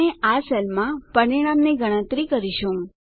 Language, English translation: Gujarati, We shall use this cell to compute the result